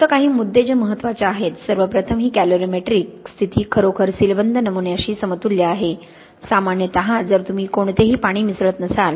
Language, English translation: Marathi, Just the few points which are important, first of all this calorimetric condition is really equivalent to a sealed sample, generally if you are not adding any water